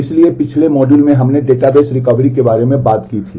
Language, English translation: Hindi, So, in the last module we had done talked about database recovery